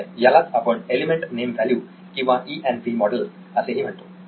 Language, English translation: Marathi, Okay, so are called the element name value ENV model as well